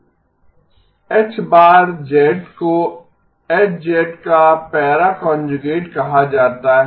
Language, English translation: Hindi, This is called para conjugation